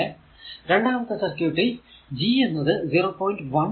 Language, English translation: Malayalam, Similarly, that second circuit that there G is your 0